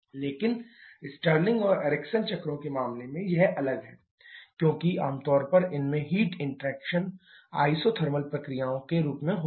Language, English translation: Hindi, But that is different in case of the Stirling and Ericsson cycles because they generally have heat interactions in the form of isothermal processes